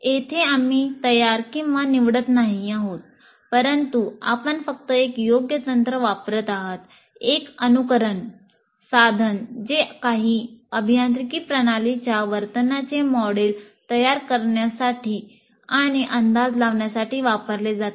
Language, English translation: Marathi, So here we are neither creating nor selecting, but we are just applying an appropriate technique, that is simulation tool, to kind of, that is both modeling and prediction of the behavior of some engineering system